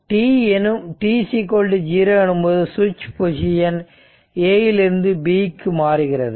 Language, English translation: Tamil, After that at t is equal to 0, switch will move from A to B